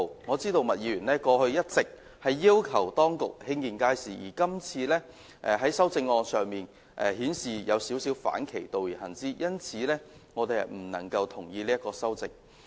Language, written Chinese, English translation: Cantonese, 我知道麥議員過去一直要求當局興建街市，但她今次的修正案卻有少許反其道而行，因此我們不能同意這項修正案。, I know Ms MAK has been urging the authorities to construct public markets . However her present amendment has slightly run counter to her principle . We thus cannot agree with this amendment